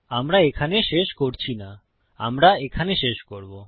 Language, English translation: Bengali, We dont end it here were going to end it here